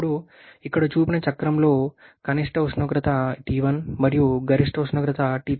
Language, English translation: Telugu, Now the cycle showed here is the minimum temperatures is T1 maximum temperatures T3